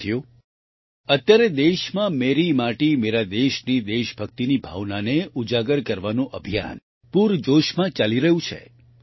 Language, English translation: Gujarati, Friends, At present, the campaign to evoke the spirit of patriotism 'Meri Mati, Mera Desh' is in full swing in the country